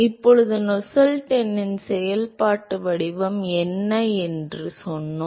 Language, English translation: Tamil, Now, we also said what is the functional form of Nusselt number